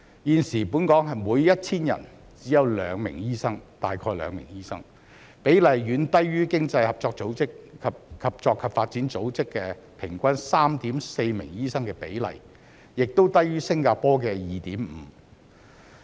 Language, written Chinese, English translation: Cantonese, 現時本港每 1,000 人只有約2名醫生，比例遠低於經濟合作與發展組織平均 3.4 名醫生的比例，亦低於新加坡的 2.5 名。, The per capita doctor ratio in Hong Kong is only around 2 per 1 000 people far lower than the average of 3.4 in the Organisation for Economic Co - operation and Development and also lower than the 2.5 in Singapore